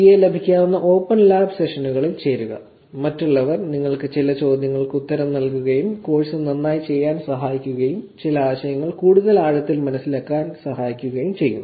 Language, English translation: Malayalam, Join the open lab sessions where we could actually have the TA and others answer some questions for you, help you do the course better, help you understand some concepts even more deeply